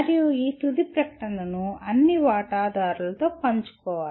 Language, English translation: Telugu, And these final statement should be shared with all stakeholders